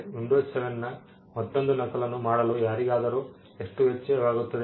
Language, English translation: Kannada, How much does it cost anyone to make another copy of windows 7